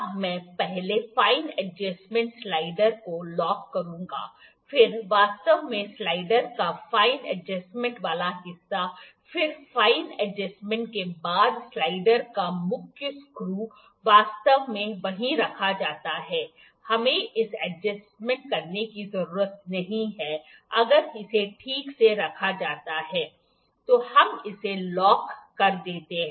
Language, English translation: Hindi, Now I will see I will lock the fine adjustment slider first then actually the fine adjustment part of the slider then the main screw of the slider after the fine adjustment actually it is just kept over there we need not to adjust it, ok, it is kept properly then we lock this one